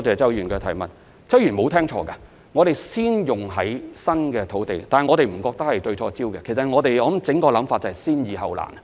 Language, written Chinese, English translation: Cantonese, 周議員沒有聽錯，我們會先用於新批土地，但我們並不認為這是對焦錯誤，我們整體的想法是先易後難。, Mr CHOW heard it right . We will first apply the system to newly granted land but we do not think this is a wrong focus . Our overall intention is to apply it to the easy ones first and then the difficult ones